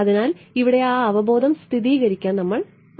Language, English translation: Malayalam, So, here we want to confirm that intuition over here now hm